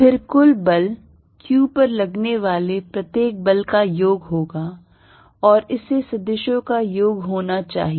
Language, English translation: Hindi, Then the net force is going to be summation of individual forces on q, and this has to be vector sums